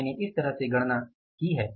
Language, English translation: Hindi, I have calculated this way